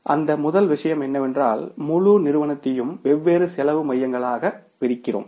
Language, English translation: Tamil, So, for that first thing is you divide the whole firm into the different cost centers